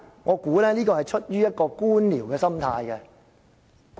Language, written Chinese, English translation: Cantonese, 我猜這是出於官僚的心態。, I guess this is out of bureaucracy